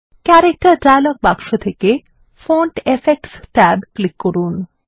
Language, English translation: Bengali, From the Character dialog box, click Font Effects tab